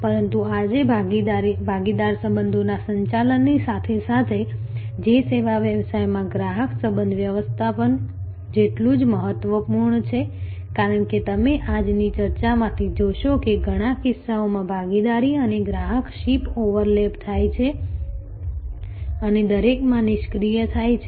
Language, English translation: Gujarati, But, today side by side with managing partner relationships, which is as important in service business as is customer relationship management, because as you will see from today's discussion, that in many cases there is a partnership and customer ship overlap and defuse in to each other